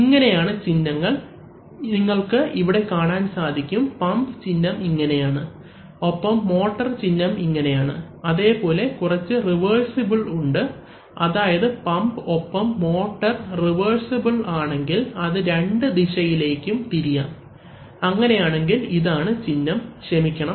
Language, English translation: Malayalam, And these are the symbols, so you see that the pump symbol is like this and the motor symbol is like this and there are some reversible you know, if the pump and a motor are reversible that is they can rotate in both directions then this is the symbol, oh sorry